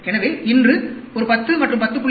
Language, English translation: Tamil, If tomorrow I am getting a 10 and 10